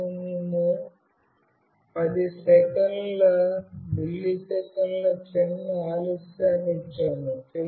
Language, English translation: Telugu, And we have given a small delay that is 10 milliseconds